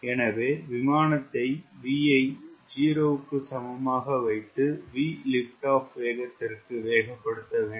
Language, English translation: Tamil, so it has to accelerate the airplane from v equal to zero to a speed v equal to liftoff